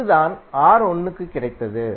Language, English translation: Tamil, And this is what we got for Ra